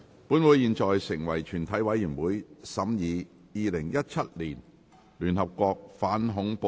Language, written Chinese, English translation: Cantonese, 本會現在成為全體委員會，審議《2017年聯合國條例草案》。, I declare the motion passed . All the proceedings on the United Nations Amendment Bill 2017 have been concluded in committee of the whole Council